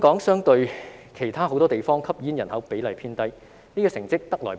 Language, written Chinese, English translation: Cantonese, 相比其他很多地方，香港的吸煙人口比例偏低，這個成績得來不易。, In comparison with many other places the smoking population in Hong Kong is on the low side and this achievement does not come easily